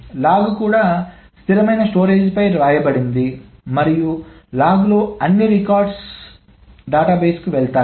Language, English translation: Telugu, The log is also written on the stable storage and all the right records in the log has gone to the database